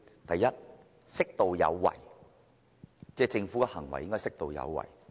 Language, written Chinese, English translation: Cantonese, 第一，政府的行為應適度有為。, Firstly government actions must be appropriately proactive